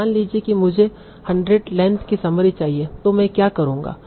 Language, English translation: Hindi, So that is suppose I want a summary of length 100